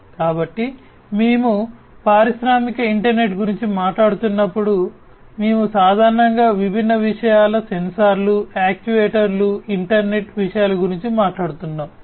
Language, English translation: Telugu, So, you know when we are talking about industrial internet, we are talking about typically use of different things sensors actuators etc